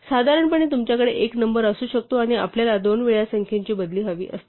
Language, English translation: Marathi, More generally you could have a number and we could want a replaces by two times a number